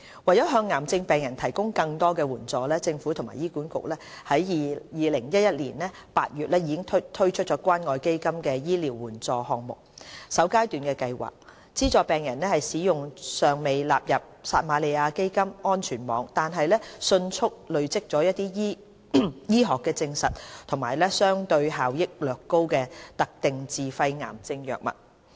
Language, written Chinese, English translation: Cantonese, 為向癌症病人提供更多援助，政府和醫管局於2011年8月推出關愛基金醫療援助項目首階段計劃，資助病人使用尚未納入撒瑪利亞基金安全網，但迅速累積醫學實證及相對效益略高的特定自費癌症藥物。, To provide cancer patients with more support the Government and HA launched the First Phase Programme of the CCF Medical Assistance Programmes in August 2011 to offer patients financial assistance to purchase specified self - financed cancer drugs which have not yet been brought into the Samaritan Fund safety net but have been rapidly accumulating medical scientific evidence and have relatively higher efficacy